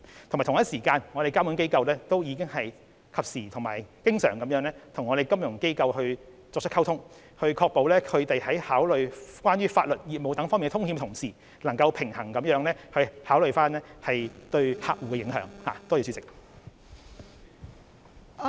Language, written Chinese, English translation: Cantonese, 同時，監管機構亦已及時和經常與金融機構溝通，確保他們考慮有關法律及業務等風險的同時，能夠平衡地考慮對客戶的影響。, Meanwhile the regulatory authorities have timely and regularly communicated with financial institutions to ensure that they will strike a balance in considering the risks involved in legal business etc and at the same time the effects on their customers